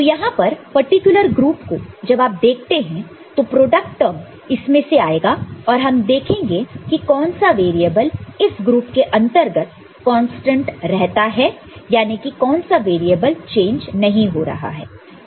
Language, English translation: Hindi, So, here this particular group when you are looking at so, the product term that will come out of it we shall see which variable is remaining constant within the group; that means, which is not changing, right